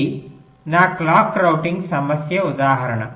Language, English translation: Telugu, this is my clock routing problem instance